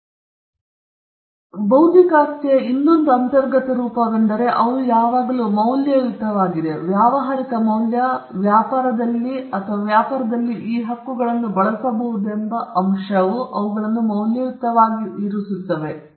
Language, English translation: Kannada, Another trait or something inherent in the nature of intellectual property right is that these rights once they are created, they are valuable; there is commercial value or the fact that these rights can be used in trade and in business makes them valuable